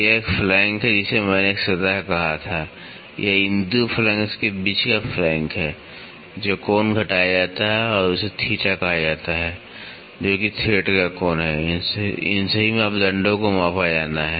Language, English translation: Hindi, This is a flank I said a plane, this is a flank, this is a flank between these 2 flanks the angle which is subtended is called theta, which is the angle of thread all these parameters have to be measured